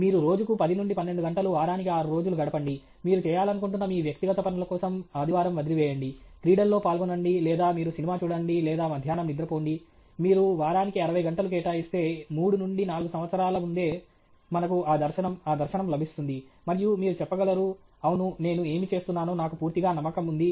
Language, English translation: Telugu, If you spend 10 to 12 hours a day, 6 days a week, leave the Sunday for your personal things you want to do sport or you want to watch movie whatever or you want to just sleep off in the afternoon if you spend about 60 hours a week, it takes 3 to 4 hours, 3 to 4 years before we get that vision that dharshan and you say, that yes, I am completely confident about what I am doing